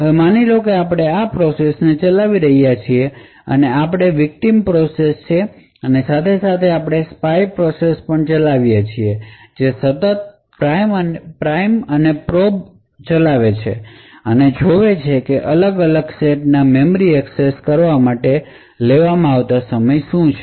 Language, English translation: Gujarati, Now assume that we are actually running this particular process and this is our victim process and side by side we also run a spy process which is continuously running the prime and probe scanning the measuring the time taken to make memory accesses to a different sets in the cache